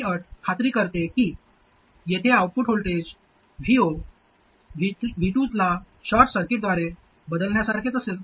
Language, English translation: Marathi, This condition ensures that the output voltage here V0 would be the same as replacing C2 by a short circuit